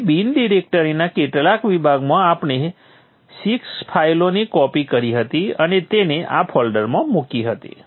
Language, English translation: Gujarati, So in the bin directory in the last session we had copied six files and put put it into this folder from the resources